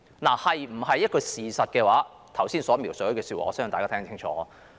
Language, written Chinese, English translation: Cantonese, 至於這是否事實，我剛才的描述相信大家也聽得清楚了。, As to whether this is true or not I believe Members have heard it clearly from what I have just described